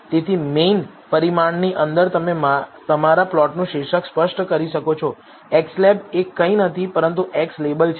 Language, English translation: Gujarati, So, inside the parameter main you can specify the title of your plot, xlab is nothing, but x label